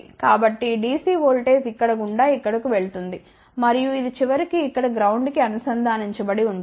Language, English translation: Telugu, So, the DC voltage goes through here here and goes through over here and is then finally, connected to ground here